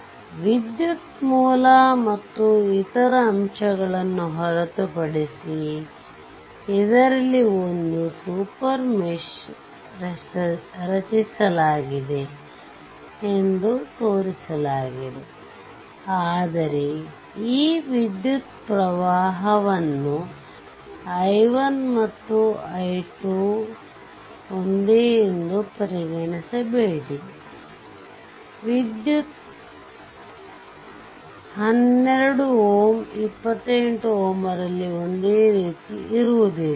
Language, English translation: Kannada, By excluding the current source and the other elements, this is at it is shown in that this there is a super mesh is created, right, but it is your what you call this current is i 1 this current is i 2, right, but do not consider a same current 12 ohm 28 ohm this is flowing no not like that